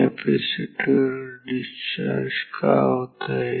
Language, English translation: Marathi, So, the capacitor will charge